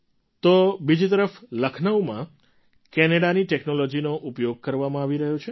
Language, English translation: Gujarati, Meanwhile, in Lucknow technology from Canada is being used